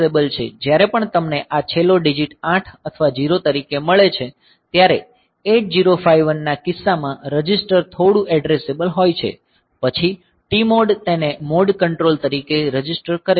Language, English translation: Gujarati, So, whenever you have got this last digit as 8 or 0 the registered is bit addressable in case of 8 0 5 1 then T mod registers it is the mode control